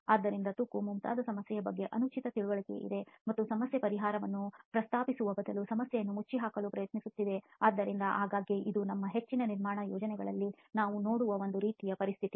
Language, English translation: Kannada, So there is an improper application here of an understanding of a problem like corrosion and trying to cover up the problem rather than propose a solution to the problem itself, so very often this is a kind of situation that we see in most of our construction projects